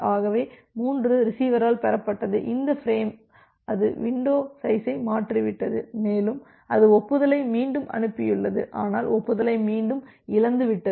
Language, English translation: Tamil, So, the 3 has being received by the receiver so, receive has received that frame it has shifted the window and it has sent the acknowledgement again acknowledgement got lost